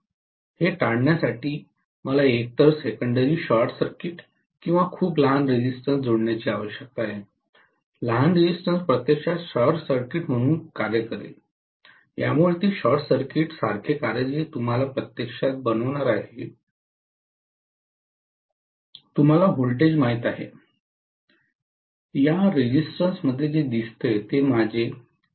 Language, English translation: Marathi, To avoid that I necessarily need to either short circuit the secondary or connect a very very small resistance, the small resistance will work actually as a short circuit, it will make it work like a short circuit that is actually going to make, you know the voltage what appears across this resistance will be whatever is my ‘I’, that is 1 ampere multiplied by whatever is the R value here